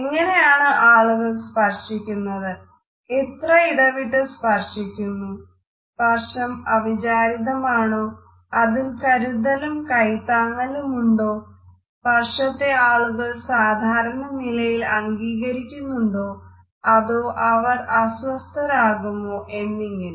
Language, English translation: Malayalam, How do people touch, how much frequently they touch each other, whether this touch is accidental or is it prolonged is it caressing or is it holding, whether people accept these touches conveniently or do they feel uncomfortable